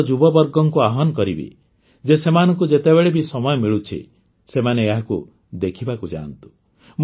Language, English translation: Odia, I would like to urge the youth that whenever they get time, they must visit it